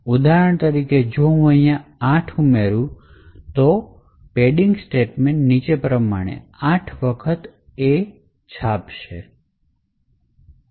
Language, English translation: Gujarati, So for example if I add see 8 over here then print padding could actually print A 8 times as follows